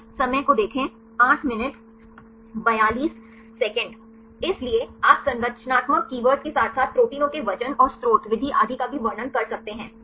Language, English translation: Hindi, So, you can give the structural keywords right as well as the description of the proteins the weight and the source method and so on right